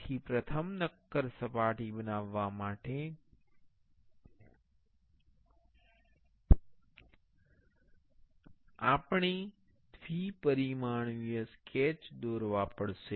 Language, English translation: Gujarati, So, for making a solid surface first, we have to draw a two dimensional sketch